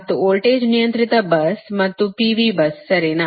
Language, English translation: Kannada, and voltage controlled bus, that is p v s right